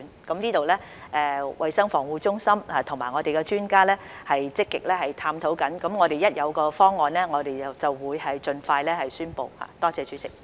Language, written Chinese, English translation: Cantonese, 這方面，衞生防護中心和我們的專家正在積極探討，我們一有方案便會盡快宣布。, In this regard the Centre for Health Protection and our experts are actively engaged in the study . We will announce the solution as soon as available